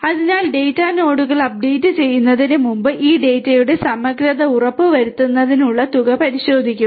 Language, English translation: Malayalam, So, before updating the data nodes would verify that check sums for ensuring the integrity of these data